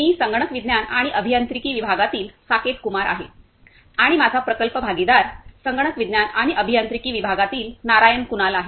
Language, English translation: Marathi, Everyone I am Saketh Kumar from Computer Science and Engineering Department with my project partner Narayan Kunal from Computer Science and Engineering Department